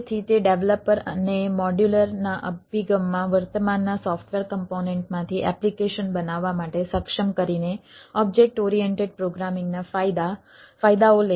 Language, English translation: Gujarati, so it take the advantages, advantages of object oriented programming by enabling developers to build application from existing software component in a modulars approach